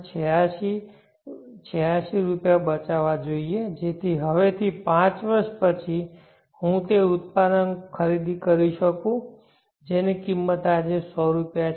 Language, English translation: Gujarati, 86 rupees today, so that five years from now I can buy that product which costs 100 rupees today